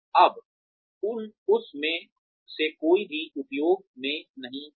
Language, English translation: Hindi, Now, none of that, is in use anymore